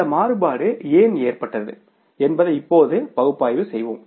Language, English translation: Tamil, Now we will analyze that why this variance has occurred